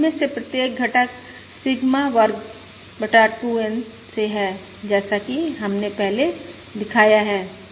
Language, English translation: Hindi, Now, each of these components is Sigma square by 2, N